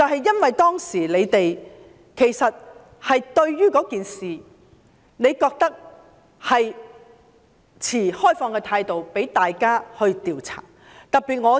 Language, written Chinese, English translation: Cantonese, 因為當時民主黨對相關事件持開放態度，同意進行調查。, This was because the Democratic Party adopted an open attitude towards the relevant incident and agreed to conduct an investigation